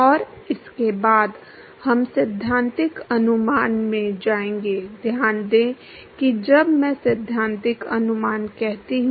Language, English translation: Hindi, And, after that we will go into the theoretical estimation, note that when I say theoretical estimation